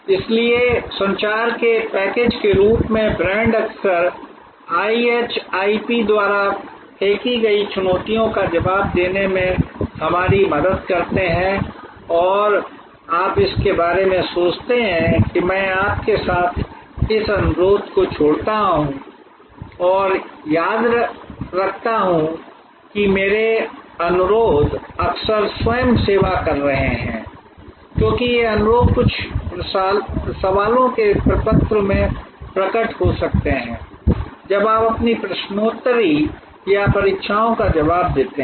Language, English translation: Hindi, So, brand as a package of communication often help us to respond to the challenges thrown up by IHIP and you think about it I leave this request with you and remember, that my requests are often self serving, because these requests may appear in the form of certain questions when you respond your quiz or examinations